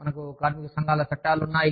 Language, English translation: Telugu, We have, the trade unions act